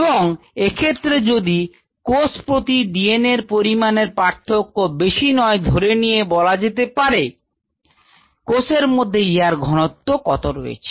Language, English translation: Bengali, and if we assume that the percentage DNA per cell does not vary too much, then this becomes a direct measure of the cell concentration it'self